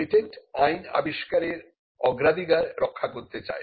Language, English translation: Bengali, Patent law wants to safeguard priority of inventions